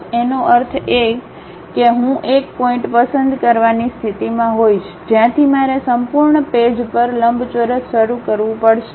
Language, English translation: Gujarati, That means I will be in a position to pick one point from where I have to begin rectangle on entire page